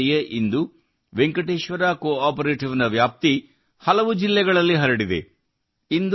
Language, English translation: Kannada, Today Venkateshwara CoOperative has expanded to many districts in no time